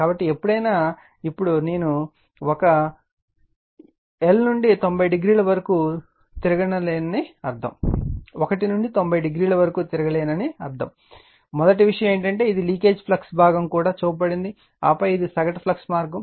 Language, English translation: Telugu, So, whenever, now here we have to understand your I cannot revolve this 1 to 90 degree, I will tell you that first thing is that this is the leak[age] leakage flux part is also solve, and then this is the mean flux path